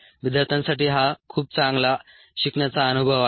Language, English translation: Marathi, its a very good learning experience for the students